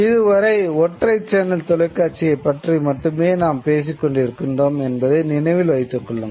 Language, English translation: Tamil, Remember, we would be still talking mostly of a single channel television